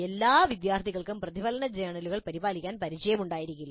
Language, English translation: Malayalam, And not all students may be familiar with maintaining reflective journals